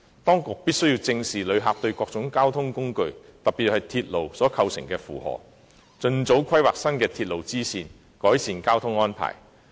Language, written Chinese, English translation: Cantonese, 當局必須正視旅客對各種交通工具，特別是對鐵路所構成的負荷，盡早規劃新的鐵路支線，改善交通安排。, The authorities must address squarely the burden brought by visitors on various modes of transport especially the railway and expeditiously make plans on new railway lines in order to improve the transport arrangements